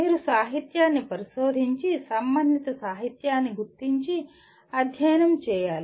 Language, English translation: Telugu, You have to research the literature and identify the relevant literature and study that